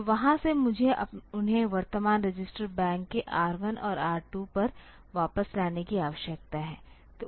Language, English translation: Hindi, So, from there I need to get them back onto R 1 and R 2 of the current register bank